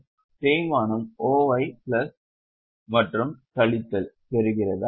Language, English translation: Tamil, So, okay, so depreciation OI plus and minus